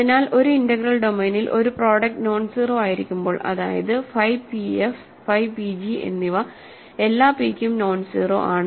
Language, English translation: Malayalam, So, in an integral domain when it is a product nonzero that means, phi p f is nonzero and phi p g is nonzero for all p